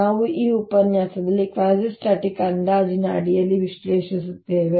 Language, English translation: Kannada, we will analyze that in this lecture under quasistatic approximation